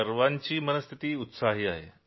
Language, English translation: Marathi, Everyone's mood is upbeat